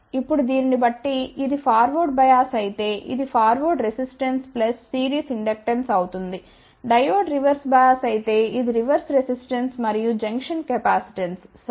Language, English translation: Telugu, Now, depending upon, if it is forward bias then this will be forward resistance plus series inductance, if the Diode is reverse bias, then this will be a reverse resistance plus the junction capacitance ok